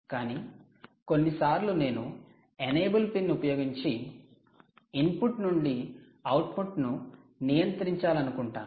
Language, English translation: Telugu, but sometimes you may want to control input to output by using an enable pin